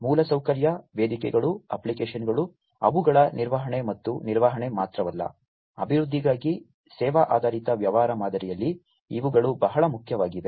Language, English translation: Kannada, The infrastructure, the platforms, the applications, the maintenance of them and not only maintenance, but for the development; these are very important in the service oriented business model